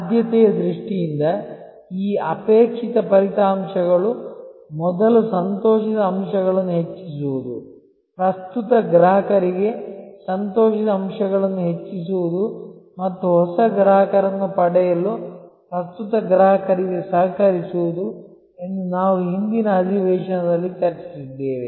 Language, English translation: Kannada, And we discussed in the previous session that this desired outcomes in terms of priority first is to enhance the delight factors, enhance delight factors for current customers and co opt current customers to acquire new customers